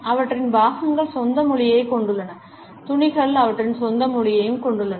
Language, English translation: Tamil, Accessories have their own language; fabrics also have their own language